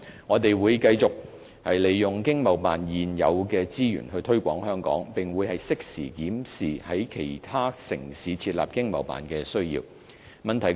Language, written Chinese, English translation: Cantonese, 我們會繼續利用經貿辦現有的資源推廣香港，並會適時檢視在其他城市設立經貿辦的需要。, We will continue to promote Hong Kong under existing resources of the ETOs and will review at appropriate juncture the need for setting up ETOs in other cities